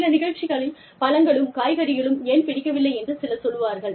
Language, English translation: Tamil, Maybe, in some program, somebody would say, why do not like, fruits and vegetables